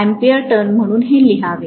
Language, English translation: Marathi, So we should write this as ampere turn